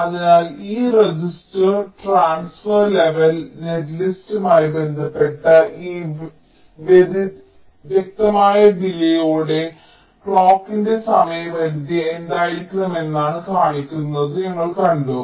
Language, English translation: Malayalam, so we have seen that with respect to this register transfer level netlist, with these discrete delays are shown, what should be the time period of the clock